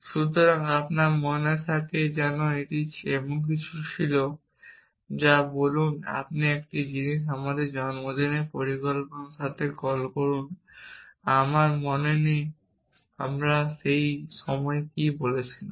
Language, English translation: Bengali, So, if you are remember it was something like this that let say a let say let us call with a birthday plan I do not remember what we had said that time